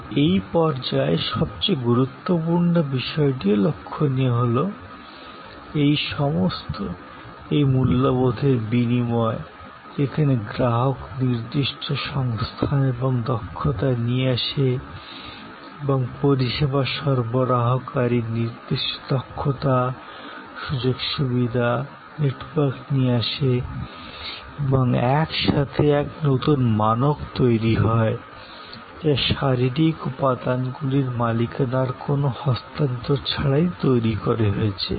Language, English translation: Bengali, But, the most important point at this stage also to note is that, all these, this exchange of value, where the customer brings certain resources and competencies and the service provider brings certain skills, facilities, networks and together a new set of values are created without any change of ownership of the physical elements involved